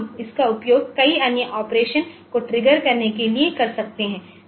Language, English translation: Hindi, So, we can use it for triggering many other operation maybe in some other devices